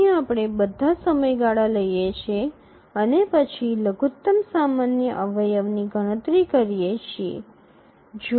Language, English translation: Gujarati, So, we take all the periods and then compute the least common multiple